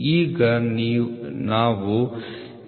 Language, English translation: Kannada, So, the L